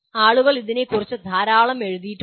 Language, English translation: Malayalam, People have written extensively about that